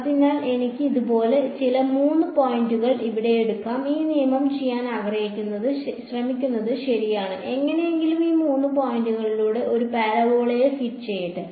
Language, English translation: Malayalam, So, I can take some three points like this over here, and what this rule will try to do is ok, let me somehow fit a parabola through these three points